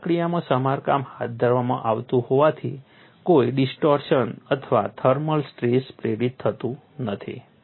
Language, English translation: Gujarati, As the repairs are carried in cold process, no distortion or thermal stress is induced